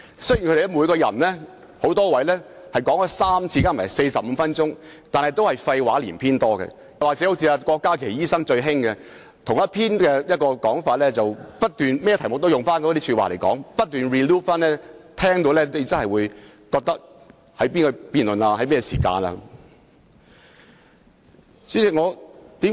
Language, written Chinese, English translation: Cantonese, 雖然那邊有多位議員曾先後3次發言共45分鐘，但大多數是廢話連篇，或是好像郭家麒議員那樣，無論辯論甚麼議題都只是不斷重複同一說法，令人聽罷也分不清在討論甚麼議題。, While a number of these Members had spoken thrice for a total of 45 minutes their speeches were mostly reams of rubbish or repetitive as in the case of Dr KWOK Ka - ki who kept repeating the same argument disregarding the subject under discussion thus people could not tell on which subject he was speaking